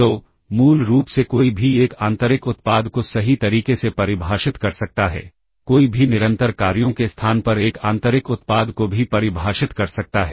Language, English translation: Hindi, So, basically one can also define an inner product, correct, one can also define an inner product on the space of continuous functions